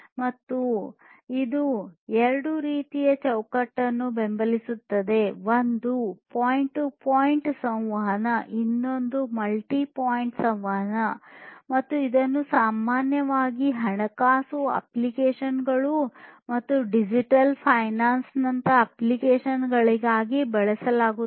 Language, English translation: Kannada, And, it supports two types of framework: one is the point to point communication and the other one is multi point communication and is typically used for application such as financial applications, digital finance and so on